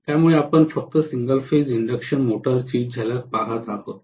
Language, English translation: Marathi, So we are just looking at the glimpse of single phase induction motor nothing more than that